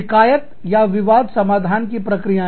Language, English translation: Hindi, Grievance or dispute resolution procedures